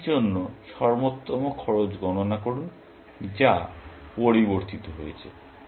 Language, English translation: Bengali, Compute the best cost for n, which has changed